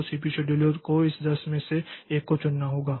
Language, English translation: Hindi, So, the CPU scheduler has to pick up one out of this 10